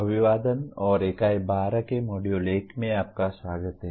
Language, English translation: Hindi, Greetings and welcome to the Unit 12 of Module 1